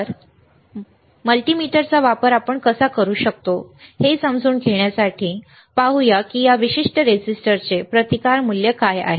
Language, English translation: Marathi, So, we will see how we can use the multimeter to understand what kind of what is our what is a resistance value of this particular resistors all right